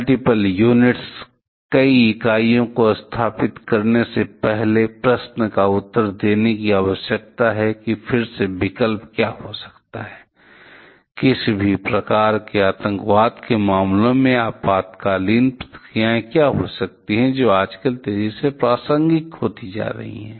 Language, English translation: Hindi, Multiple units ,there needs to be question answered before setting up multiple units and again what can be the option; what can be emergency response in case of any kind of terrorism matter, which is becoming increasingly relevant nowadays